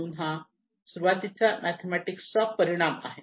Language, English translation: Marathi, So this is the initial mathematical consequences